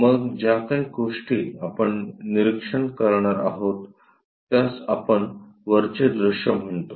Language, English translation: Marathi, Then, whatever the thing we are going to observe that we call top view